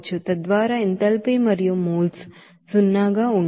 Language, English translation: Telugu, So that enthalpy and moles will be zero